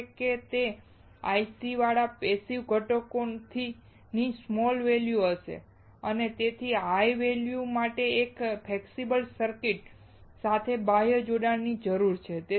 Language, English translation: Gujarati, Next one is passive components with the ICs will have a small value and hence an external connection is required with one flexible circuit for higher values